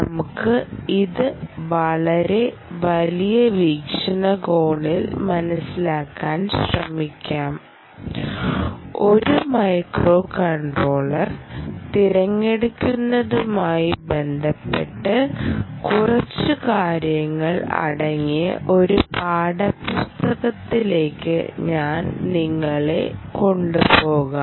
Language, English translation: Malayalam, i have been trying to understand this in a very big perspective and i will point you to a text book where i found a few things with respect to choice of a microcontroller